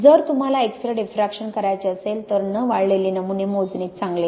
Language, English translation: Marathi, If you want to do X ray diffraction it is best to measure undried samples